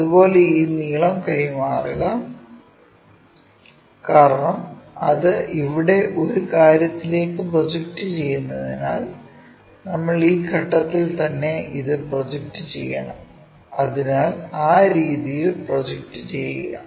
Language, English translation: Malayalam, Similarly, transfer this length, because it is projecting onto a thing here something like that, that we have to project it all the way from this point so, project it in that way